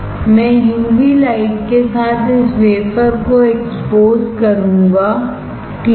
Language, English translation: Hindi, I will expose this wafer with UV light; expose this wafer with UV light, alright